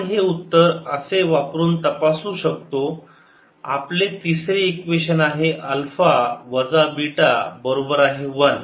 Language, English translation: Marathi, so from equations three we see that beta is equal to alpha minus one